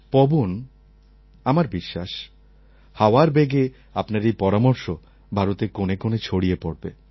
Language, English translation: Bengali, Pawan, I believe that this sentiment will definitely reach every corner of India